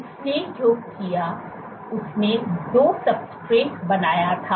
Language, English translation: Hindi, What he did was he created 2 substrates